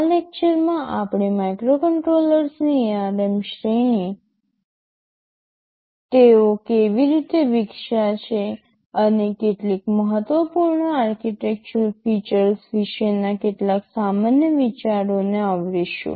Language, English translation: Gujarati, INow, in this lecture we shall be covering some general ideas about the ARM series of microcontrollers, how they have evolved and some of the important architectural features ok